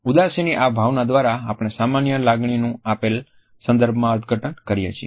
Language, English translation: Gujarati, By this emotion of sadness we normally interpret a particular emotion within a given context